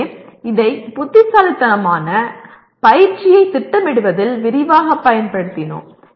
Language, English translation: Tamil, So this we have used it extensively in planning intelligent tutoring